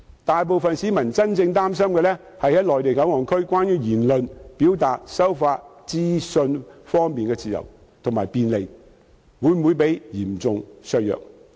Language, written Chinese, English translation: Cantonese, 大部分市民真正擔心的是在內地口岸區言論、表達和收發資訊的自由度及便利性會否被嚴重削弱。, Most people are really worried about whether their freedom and convenience of speech expression and receiving and disseminating information will be greatly reduced in MPA